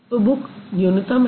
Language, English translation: Hindi, So, this is minimal